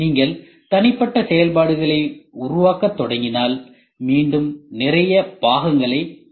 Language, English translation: Tamil, And you if you start making individual functions you will again have lot of components